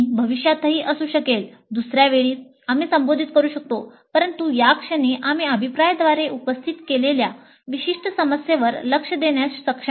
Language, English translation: Marathi, Maybe in future some other time we can address but at this juncture we are not able to address that particular issue raised by the feedback